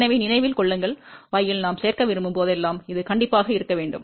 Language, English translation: Tamil, So, remember in y whenever we want to add, this has to be in shunt